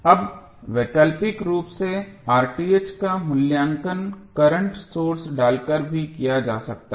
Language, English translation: Hindi, Now, alternatively R Th can also be evaluated by inserting a current source